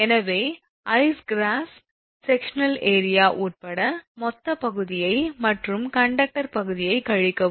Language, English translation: Tamil, So, find out that your, what you call the total area including ice cross sectional area and subtract the conductor area